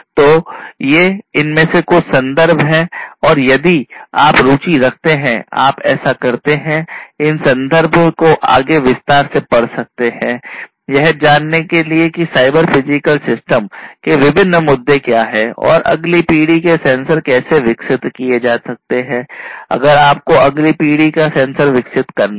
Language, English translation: Hindi, So, these are some of these references and if you are interested you can go through these references in further detail, to know what are the different other issues of the cyber physical systems and how next generation sensors could be developed; if you have to develop these next generation sensors